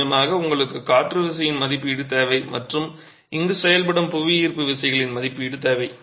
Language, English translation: Tamil, Of course you need an estimate of the wind force and you need an estimate of the gravity forces acting here